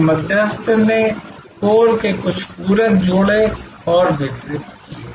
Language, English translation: Hindi, So, the intermediary added some supplementary to the core and delivered